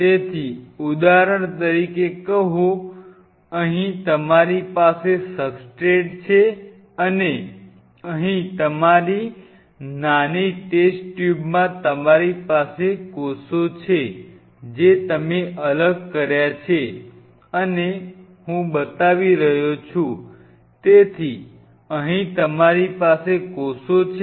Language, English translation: Gujarati, So, say for example, here you have the substrate and here you have in your small test tube you have the cells what you have isolated and I am showing the